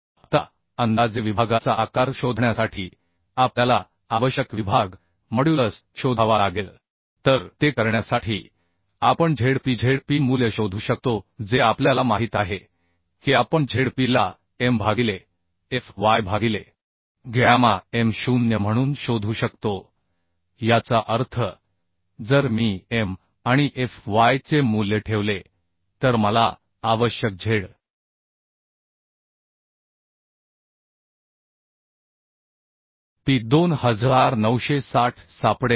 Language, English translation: Marathi, 8 kilonewton and maximum shear force is 328 kilonewton Now we have to find out the required section modulus to find a approximate section size So to do that we can find out Zp Zp value we know we can find out Zp as M by fy by gamma m0 that means if I put the value of M and fy then I can find the Zp required 2960